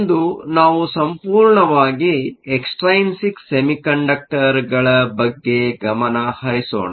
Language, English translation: Kannada, Today we will be looking purely on extrinsic semiconductors